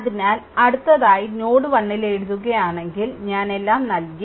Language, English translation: Malayalam, So, next if you write now at node 1 I at node 1 I given you everything right